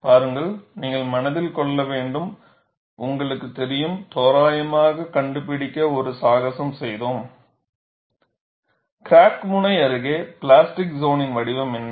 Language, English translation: Tamil, See, we will have to keep it in mind, you know we had done a circus to find out, approximately, what is a shape of the plastic zone near the crack tip